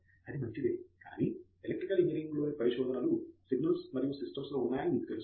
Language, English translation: Telugu, It is fine, but except that you know all research in Electrical engineering is in signals and systems